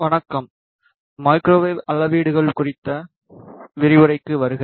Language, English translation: Tamil, Hello, welcome to the lecture on Microwave Measurements